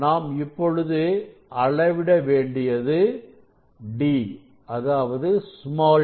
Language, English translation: Tamil, actually we have measured d 1 and d 2